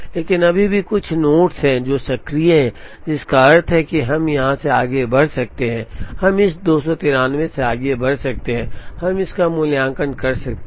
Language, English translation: Hindi, But, there are still some nodes that are active which means, we can move from here, we can move from this 293, we can evaluate this